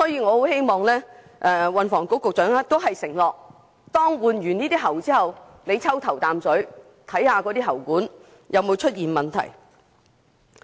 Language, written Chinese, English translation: Cantonese, 我很希望運輸及房屋局局長能承諾，當局會在完成更換喉管工程後抽驗"頭啖水"，驗證喉管有否出現問題。, I very much hope that the Secretary for Transport and Housing can undertake to collect samples of first drops for testing after the replacement of water pipes so as to ascertain whether there are any problems with the new water pipes